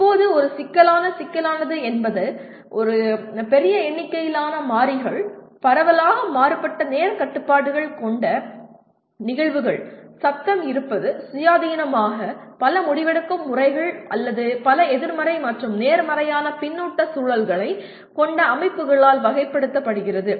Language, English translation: Tamil, Now coming to what is a complex, complexity is characterized by large number of variables, phenomena with widely different time constraints, presence of noise, independent multiple decision making, and or systems with a number of negative and positive feedback loops